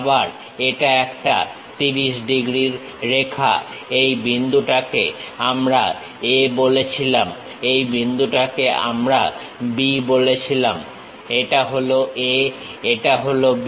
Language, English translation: Bengali, Again this is a 30 degrees line, this point we called A, this point we called this is A, this is B